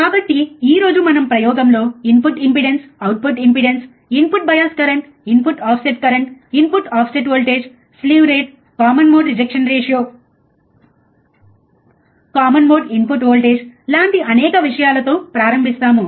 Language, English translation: Telugu, So, today we will check several things in the in the experiment starting with the input impedance, output impedance, input bias current, input offset current, input offset voltage, slew rate, common mode rejection ratio, common mode input voltage so, several things are there right